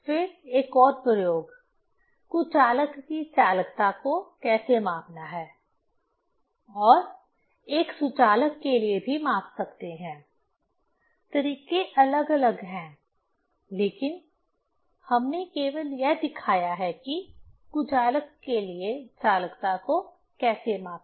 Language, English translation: Hindi, Then another experiment: how to measure the conductivity of bad conductor and one can measure the same also for good conductor; methods are different, but we have demonstrate only how to measure the conductivity for bad conductor